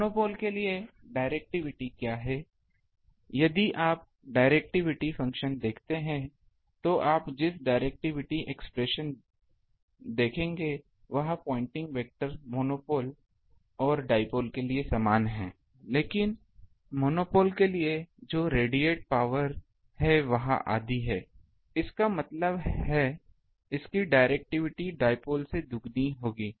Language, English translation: Hindi, For monopole what is the directivity, if you look at directivity function what is the thing ah directivity expression you would look, the pointing vector is same for monopole and dipole, but power radiated that is for monopole it is half; that means, its directivity will be twice of the dipole